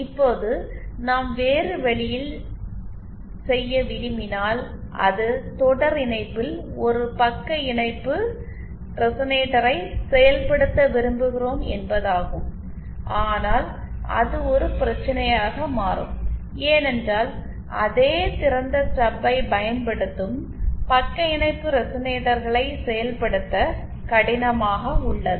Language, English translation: Tamil, Now if we want to do the other way that is we want to implement a shunt resonator in series, then that becomes a problem because shunt resonators using same open stub is difficult to realise